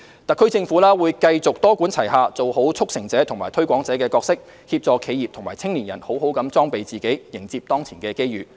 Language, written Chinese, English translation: Cantonese, 特區政府會繼續多管齊下，做好"促成者"和"推廣者"的角色，協助企業和青年人好好裝備自己，迎接當前的機遇。, The SAR Government will continue to take a multi - pronged approach do a good job as a facilitator and promoter and assist enterprises and young people in properly equipping themselves to meet current opportunities